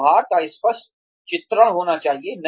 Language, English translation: Hindi, Clear portrayal of behaviors should be there